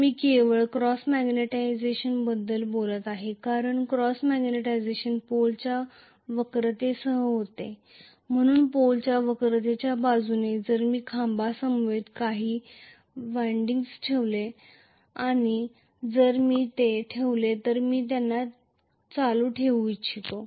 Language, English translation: Marathi, I am talking about only cross magnetization because the cross magnetization takes place along the curvature of the pole, so along the curvature of the pole if I put some windings along with the pole itself and if I placed them but I want them to carry a current which is in anti series with the armature current